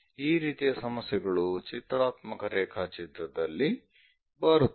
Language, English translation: Kannada, This kind of things naturally comes out from this pictorial drawing